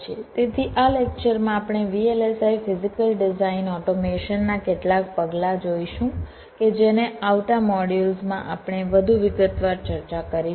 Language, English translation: Gujarati, so in this lecture we shall be looking at some of the steps in vlsi physical design automation that we shall be discussing in more detail in the modules to follow